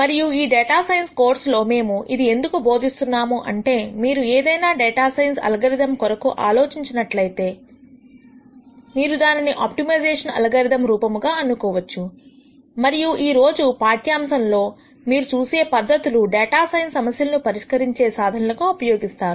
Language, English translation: Telugu, And the reason why we are teaching this in a data science course is the following, if you think of any data science algorithm, you can think of it as some form of an optimization algorithm and the techniques that you will see in today’s class are also used in solution to those data science problems or data science algorithms